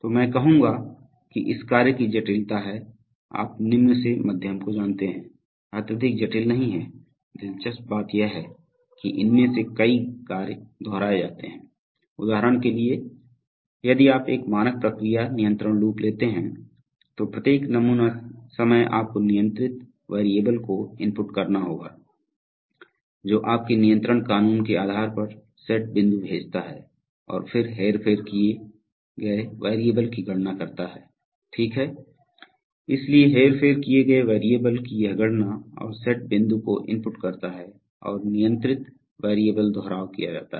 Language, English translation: Hindi, So I would say that the complexity of this tasks are, you know low to medium not highly complex, interestingly many of these tasks are repetitive, for example if you take a standard process control loop then every sampling time you have to input the controlled variable and based on your control law sends the set point and then compute the manipulated variable, right, so this computation of the manipulated variable and inputting the set point and the controlled variable goes on repetitively